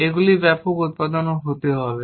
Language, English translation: Bengali, This have to be mass production to be done